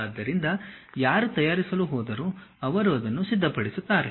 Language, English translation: Kannada, So, whoever so going to manufacture they will prepare that